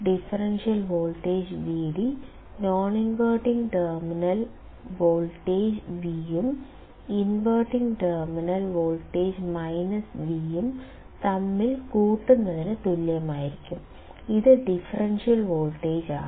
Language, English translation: Malayalam, Vd would be equal to V at the non inverting terminal and minus V at the inverting terminal; it is the differential voltage